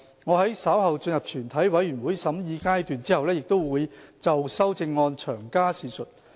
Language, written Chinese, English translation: Cantonese, 我在稍後進入全體委員會審議階段後，會就修正案詳加闡述。, I will explain the amendments in detail when we enter the Committee stage later